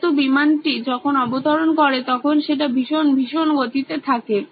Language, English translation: Bengali, So, the plane is very, very fast when it lands